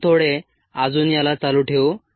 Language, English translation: Marathi, we will continue a little bit more